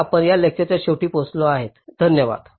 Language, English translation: Marathi, ok, so with this we come to the end of this lecture